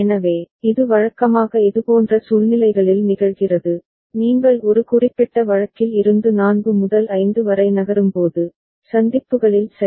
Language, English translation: Tamil, So, this usually happens in situations like this, when you are just moving from one particular case like 4 to 5, so at the junctions ok